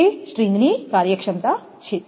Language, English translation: Gujarati, That is the string efficiency